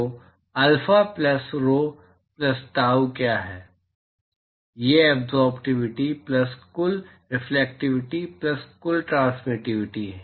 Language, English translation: Hindi, So, what is alpha plus rho plus tau, total absorptivity plus total reflectivity plus total transmittivity